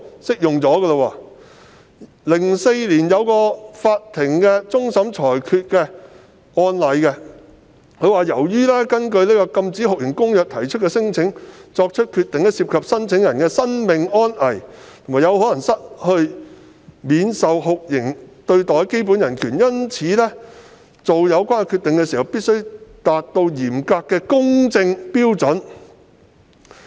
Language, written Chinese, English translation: Cantonese, 在2004年一個終審裁決案例中，法庭指出由於就根據《禁止酷刑公約》提出的聲請所作的決定涉及聲請人的生命安危，且有可能令他們失去免受酷刑對待的基本人權，因此在作出有關決定時必須達到嚴謹的公正標準。, In the judgment handed down by the Court of Final Appeal on an appeal case in 2004 it was pointed out that as the decision made in respect of a claim lodged under the Convention might have bearings on the life safety of the claimant who might lose hisher basic human right to protection from torture high standards of fairness must be demanded in the making of such decision